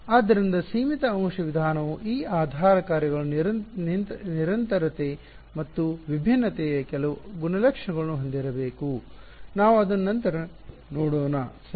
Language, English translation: Kannada, So, the finite element method needs that these basis functions they should have certain properties of continuity and differentiability which we will come to later ok